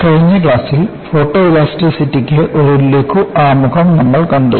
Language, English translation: Malayalam, In the last class, we had a brief introduction to Photoelasticity